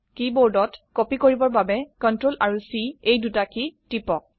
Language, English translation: Assamese, On the keyboard, press the CTRL+C keys to copy